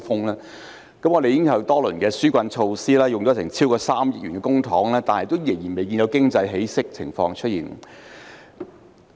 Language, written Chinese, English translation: Cantonese, 香港推出多輪紓困措施，用了超過 3,000 億元公帑，但經濟仍然未見起色。, Although several rounds of relief measures amounting to over 300 billion of public money have been implemented in Hong Kong the economy has yet to pick up